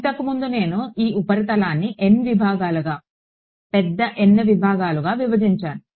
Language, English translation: Telugu, Earlier supposing I broke up this surface into N segments, capital N segments